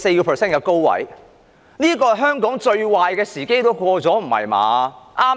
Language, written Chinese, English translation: Cantonese, 特首卻說香港最壞的時間已經過去，不是吧？, Yet the Chief Executive said that the most difficult time for Hong Kong was over